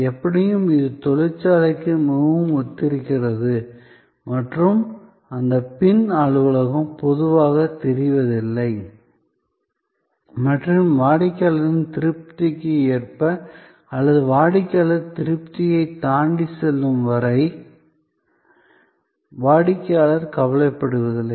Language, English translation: Tamil, So, anyway it is quite similar to the factory and that back office normally is not visible and customer is usually not bothered, as long as the front performance goes according to satisfaction or beyond the customer satisfaction